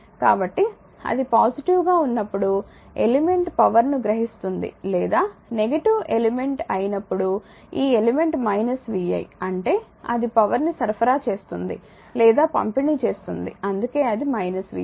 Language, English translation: Telugu, So, when it is positive then it is element is absorbing power when it is negative element this element minus vi means it is supplying or delivering power right that is why it is minus vi